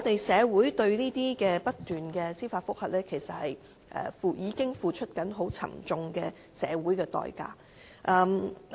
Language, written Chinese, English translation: Cantonese, 社會對這些不斷出現的司法覆核，已經付出很沉重的代價。, Our society has already paid a heavy price upon continual emergence of these judicial reviews